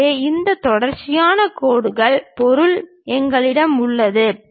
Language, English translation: Tamil, So, we have this continuous lines material